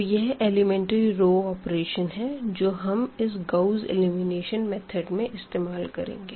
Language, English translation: Hindi, So, here these are the elementary row operations which we will be using for this Gauss elimination method